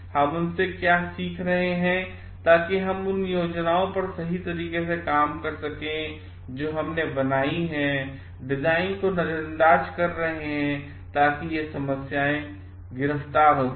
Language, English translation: Hindi, What we are learning from them, so that we can correct on our plans that we have made and relook at the design, so that these problems gets arrested